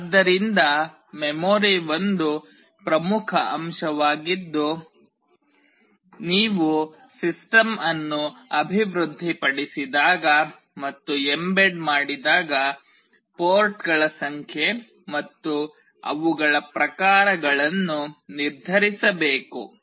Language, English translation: Kannada, So, memory is an important factor that is to be decided when you develop and embedded system, number of ports and their types